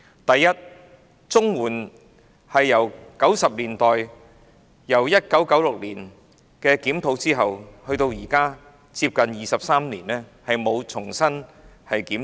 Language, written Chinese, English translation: Cantonese, 第一，綜援自1990年代推行以來，即由1996年至今近23年亦沒有重新檢討。, First CSSA has not been reviewed since its implementation in the 1990s that is after almost 23 years since 1996